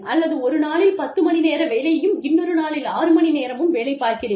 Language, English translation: Tamil, Or, ten hours of work on one day, and six hours work on the other day